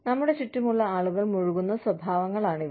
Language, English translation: Malayalam, These are behaviors, that people around us, indulge in